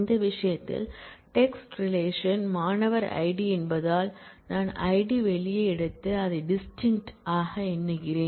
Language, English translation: Tamil, In this case because that is the text relation has the student I d take out the student I d and count it as distinct